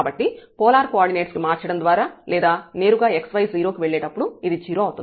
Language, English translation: Telugu, So, this will be 0, whether showing by changing to polar coordinate or directly here when x y goes to 0